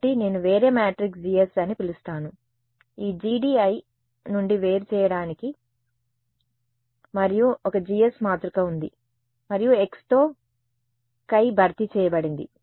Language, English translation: Telugu, So, I am going to call this a different matrix G S just to distinguish it from the G D I there is a G S matrix and all of these my chi has been replaced by the vector x